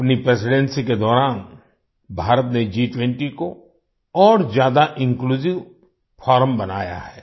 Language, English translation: Hindi, During her presidency, India has made G20 a more inclusive forum